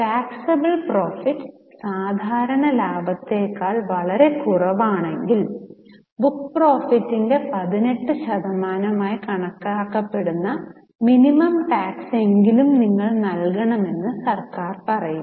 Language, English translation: Malayalam, Now if the taxation, the taxable profit is much lesser than the normal profit, government says that you at least pay some minimum tax that is normally calculated at 18% of the book profit